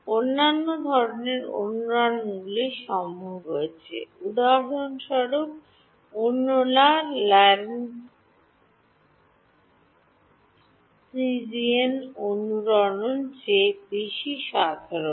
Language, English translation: Bengali, There are other kinds of resonances possible so, for example, there are others are more general are Lorentzian resonances